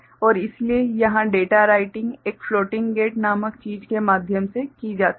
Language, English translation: Hindi, And so, here the data writing is done through something called a floating gate ok